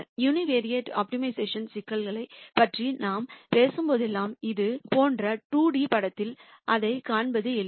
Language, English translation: Tamil, And whenever we talk about univariate optimization problems, it is easy to visualize that in a 2D picture like this